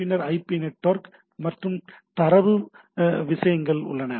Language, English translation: Tamil, We have on the line IP, then the IP network and the data things are there